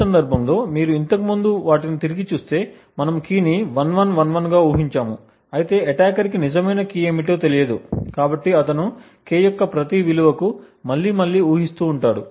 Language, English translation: Telugu, In this case if you look back, we had guessed the key as 1111 of course the attacker does not know what the actual key is, so he iterates to every possible value of K